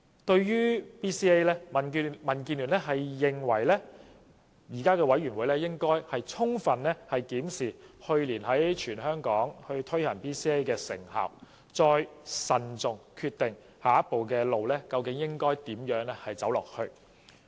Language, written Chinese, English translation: Cantonese, 對於 BCA， 民建聯認為有關委員會應充分檢視去年在全港推行 BCA 的成效，再慎重決定下一步究竟應如何走。, DAB holds that the relevant committee should conduct a comprehensive review of the effectiveness of BCA conducted across the territory last year before deciding in a prudent manner how the next step should be taken